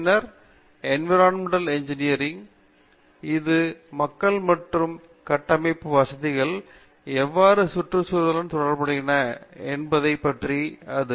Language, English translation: Tamil, Then we have Environmental engineering, which deals with how people and constructed facilities effect and interact with the environment